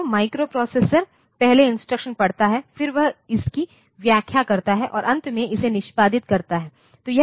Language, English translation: Hindi, So, the microprocessor first reads the instruction, then it interprets it and finally, it executes it